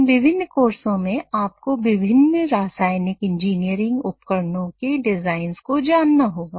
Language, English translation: Hindi, In these different courses, you might have come across design of various chemical engineering equipment